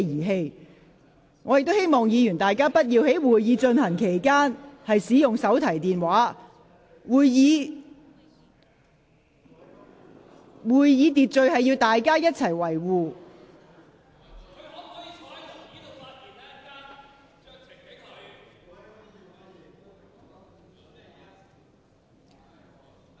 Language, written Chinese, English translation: Cantonese, 我亦提醒議員不應在會議進行期間使用手提電話，議員應遵守會議秩序。, I wish to remind Members that they should not use mobile phones during the Council meeting and should observe the Councils order